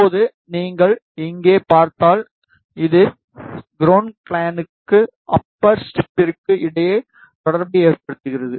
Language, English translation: Tamil, And now, if you see here, this via is making connection between ground plane and the upper strip